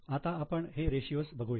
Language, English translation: Marathi, Let us look at the ratios